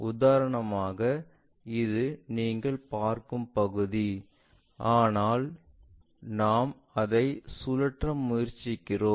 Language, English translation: Tamil, For example, this is the area what you are seeing, but what I am trying to do is rotate it